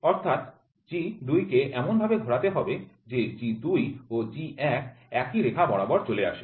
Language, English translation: Bengali, So, then G 2 is rotated in such a way G 2 and G 1 are aligned